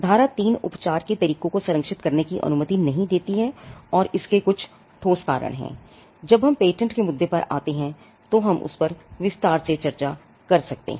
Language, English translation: Hindi, Section 3 does not allow methods of treatment to be protected and there are some sound reasons for that, when we come across when we come to the issue of patents in detail, we can discuss that